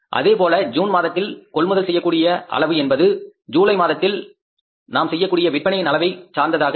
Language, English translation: Tamil, Similarly, purchases are going to be in the month of June depending upon the sales, how much sales we are going to make in the month of June